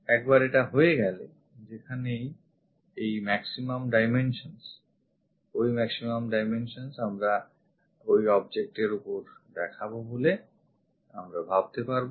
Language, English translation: Bengali, Once it is done wherever we will feel these maximum dimensions that maximum dimensions we are going to show it on that object